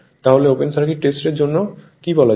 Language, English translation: Bengali, So, what what your what you call for open circuit test